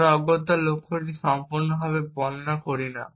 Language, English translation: Bengali, We do not necessarily describe the goal completely